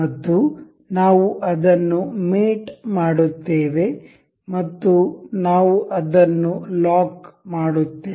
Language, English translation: Kannada, And we will mate it up, and we will lock it